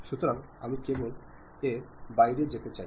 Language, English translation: Bengali, So, I would like to just go out of that